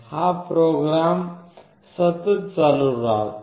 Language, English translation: Marathi, The program is continuously running